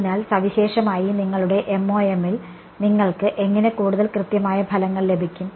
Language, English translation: Malayalam, So, typically what how will you get more accurate results in your MoM